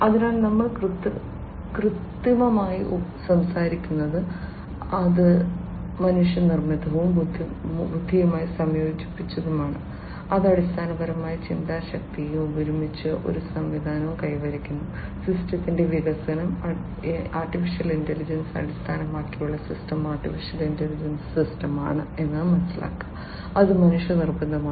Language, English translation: Malayalam, So, we are talking about artificial, which is manmade and integrating with the intelligence, which is basically the thinking power and together achieving a system, the development of the system an AI based system Artificial Intelligence system which is a creation of man made thinking power